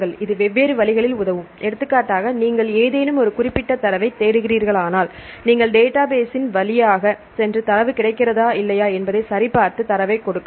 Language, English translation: Tamil, This will help in different ways for example, if you are looking for any specific data, you can go through the database and check whether the data are available or not and given the data